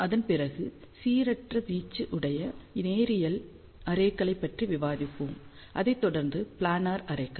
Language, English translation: Tamil, After, that we will discuss about linear arrays with non uniform amplitude followed by planar arrays